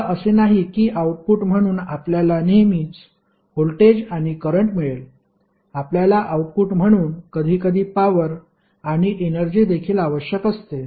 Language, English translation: Marathi, Now, it is not that we always go with voltage and current as an output; we sometimes need power and energy also as an output